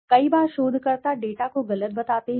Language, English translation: Hindi, Many a times researchers misrepresent the data